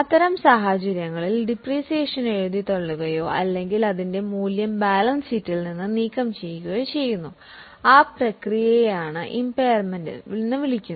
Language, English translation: Malayalam, In such cases the depreciation is written off or its value is removed from the balance sheet, that process is called as an impairment